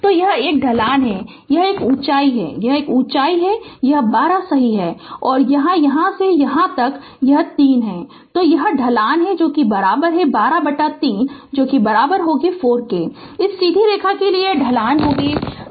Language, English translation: Hindi, So, it is a slope it is this height, it is this height it is 12 right and this is from here to here it is 3